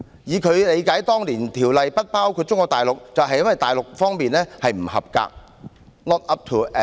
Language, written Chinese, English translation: Cantonese, 以他理解當年《條例》不包括中國大陸，就是因為大陸在這些方面"不合格"。, According to his understanding the Ordinance did not cover Mainland China back then because it was not up to an acceptable level in these areas